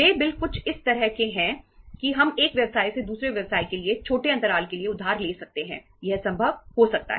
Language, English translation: Hindi, Bills payable is something like this that we can borrow uh for the short intervals from one business to other business, that can be possible